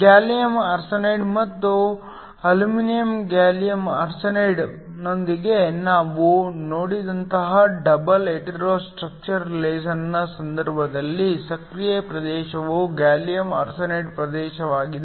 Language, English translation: Kannada, In the case of a double hetero structure laser like the one we just saw with gallium arsenide and aluminum gallium arsenide, the active region is the gallium arsenide region